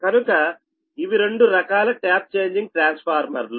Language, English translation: Telugu, so basically there are two types of tap changing transformer